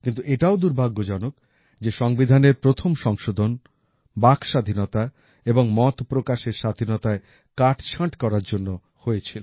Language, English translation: Bengali, But this too has been a misfortune that the Constitution's first Amendment pertained to curtailing the Freedom of Speech and Freedom of Expression